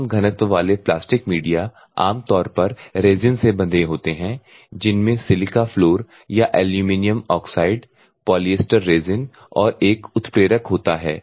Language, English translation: Hindi, So, low density plastic media normally resin bonded where contain a fine silica floor or aluminium oxide polyester resin and a catalyst